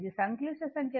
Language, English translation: Telugu, It is a complex number